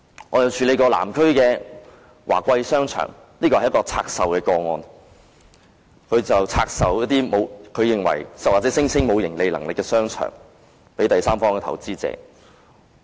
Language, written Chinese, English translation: Cantonese, 我亦處理過有關南區華貴商場的個案，這是一宗拆售個案，領展拆售一些它認為或聲稱沒有盈利能力的商場給第三方投資者。, I have also dealt with a case concerning Wah Kwai Shopping Centre in the Southern District which was a case of divestment . Link REIT would divest those shopping arcades which it considered or claimed to be unprofitable to third - party investors